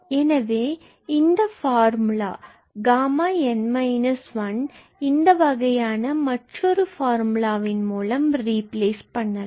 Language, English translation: Tamil, So, this formula for gamma n minus one can be replaced with a formula of this type